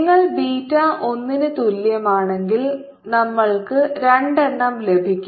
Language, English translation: Malayalam, and if you put beta is equal to one will get two